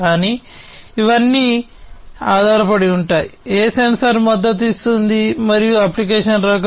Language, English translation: Telugu, But it all depends, you know, which sensor is supporting, which type of application